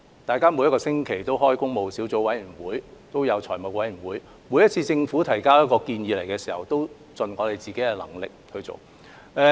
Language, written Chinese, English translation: Cantonese, 立法會每星期均舉行工務小組委員會和財務委員會會議，每次政府提交建議均盡力去做。, Meetings of PWSC and the Finance Committee are held every week in the Legislative Council and the Government does its best in following up each proposal submitted